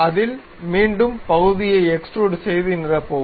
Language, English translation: Tamil, On that, again extrude the portion and fill it